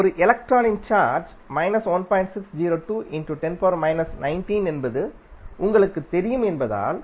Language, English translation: Tamil, Now,since you know that the charge of 1 electron is 1